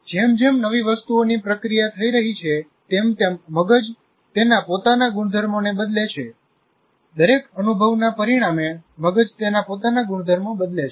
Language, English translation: Gujarati, And as new things are getting processed, the brain changes its own properties as a result of every experience, the brain changes its own properties